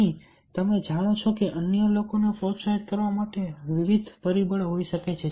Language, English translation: Gujarati, here you know, there might be various factors to motivate others